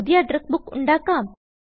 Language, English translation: Malayalam, Lets create a new Address Book